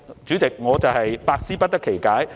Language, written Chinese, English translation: Cantonese, 主席，我實在百思不得其解。, Chairman I really do not understand